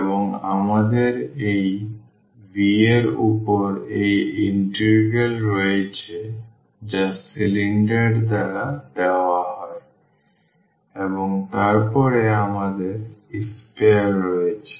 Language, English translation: Bengali, And, we have this integral over this v which is given by the cylinder and then we have the sphere